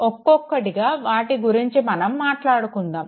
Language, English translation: Telugu, We will talk about them one by one